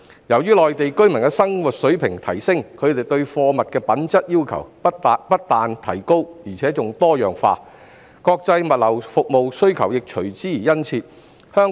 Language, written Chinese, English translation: Cantonese, 因應內地居民的生活水平提升，他們對貨物品質的要求較高而且多樣化，國際物流服務需求亦隨之變得殷切。, Due to a rising living standard the demand of Mainland residents for goods has increased both in terms of quality and diversity which has in turn created a strong demand for international logistics services